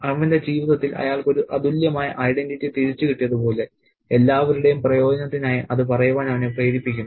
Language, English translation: Malayalam, It's as if he has got a unique identity back in his life which makes him spell it out for everybody's benefit